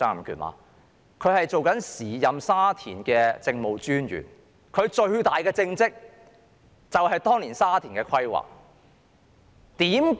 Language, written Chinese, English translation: Cantonese, 他是時任沙田政務專員，其最大政績便是當年對沙田的規劃。, He was the then District Officer for Sha Tin and his greatest achievement was the planning for Sha Tin